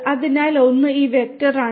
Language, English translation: Malayalam, So, one is this vector